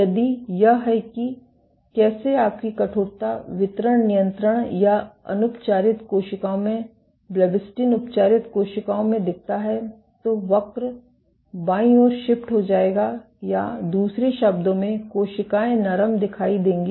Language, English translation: Hindi, If this is how your stiffness distribution looks in control or untreated cells in blebbistatin treated cells the curve will shift to the left or in other words the cells will appear softer